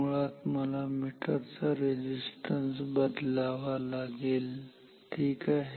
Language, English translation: Marathi, Basically I have to change the resistance of the meter ok